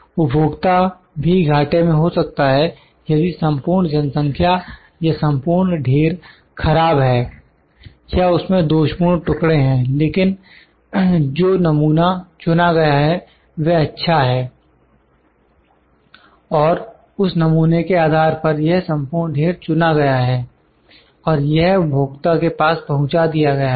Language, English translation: Hindi, The consumer can be at the loss, if the whole population or the whole lot is bad is having defected pieces but the sample it is selected is good and based on that sample, this whole lot is selected and that is passed to the consumer